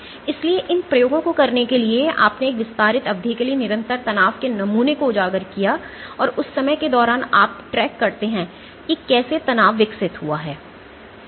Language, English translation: Hindi, So, for doing these experiments you exposed you expose the specimen to a stress constant stress for an extended duration of time, and during that time you track how there is the strain evolved